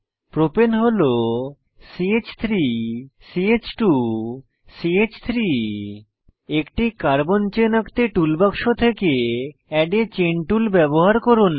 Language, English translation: Bengali, Propane is CH3 CH2 CH3 Lets use Add a Chain tool from Tool box to draw a Carbon chain